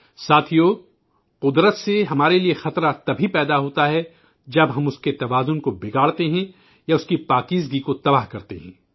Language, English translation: Urdu, nature poses a threat to us only when we disturb her balance or destroy her sanctity